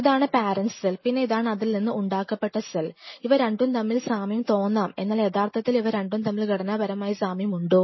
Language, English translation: Malayalam, So, if this one is the parent, this is the parent cell, this is the parent cell and this is the progeny cell, yes, they look similar, but are they truly similar in terms of structure